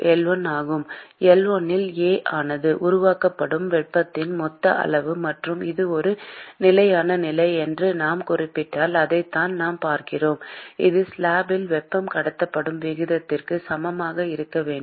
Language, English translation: Tamil, L1 into A, that is the total amount of heat that is generated and if we specify that it is a steady state condition that is what we will be looking at that should be equal to the rate at which heat is being transported in slab B, because there is no heat generation there